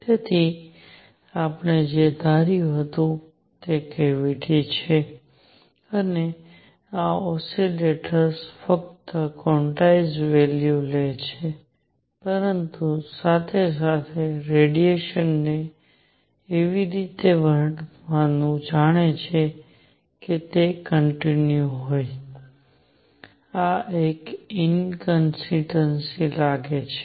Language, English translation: Gujarati, So, what we had assumed that there is a cavity and these oscillators take only quantize value, but at the same time, with treating the radiation as if it is continuous, this seems to be an inconsistency